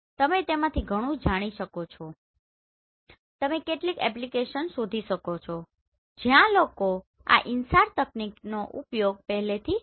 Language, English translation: Gujarati, You can go through it, you can search some paper where people have already use this InSAR technique